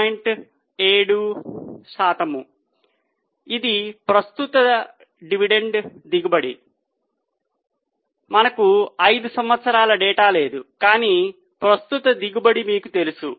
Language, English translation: Telugu, 7 percent this is the current dividend yield We don't have 5 year data but the current yield is known to you